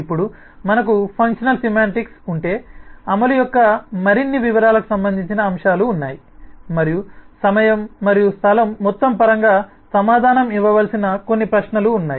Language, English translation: Telugu, now, once we have the functional semantics, then there are factors relating to more details of implementation, and some of the questions that need to be answered is in terms of amount of time and amount of space